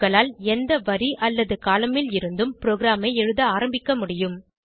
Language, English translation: Tamil, You can start writing your program from any line and column